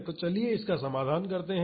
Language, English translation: Hindi, So, let us solve this